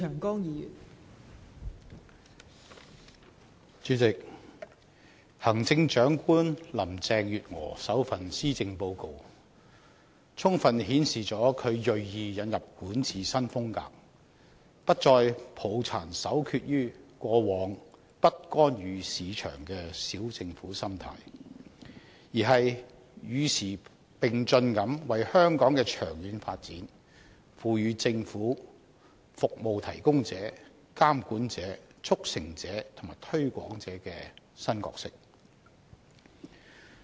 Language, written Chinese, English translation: Cantonese, 代理主席，行政長官林鄭月娥首份施政報告充分顯示她銳意引入管治新風格，不再抱殘守缺於過往"不干預市場"的"小政府"心態，而是與時並進地為香港的長遠發展，賦予政府"服務提供者"、"監管者"、"促成者"和"推廣者"的新角色。, Deputy President the first Policy Address of Chief Executive Carrie LAM shows that she has deliberately adopted a new style of governance . Instead of clinging to the bygone mentality of a small government and not intervening in the market she has kept abreast of the times and given the Government the new roles of a service provider a regulator a facilitator and a promoter with the purpose of promoting the long - term development of Hong Kong